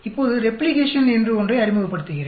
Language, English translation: Tamil, Now, let me introduce something called Replication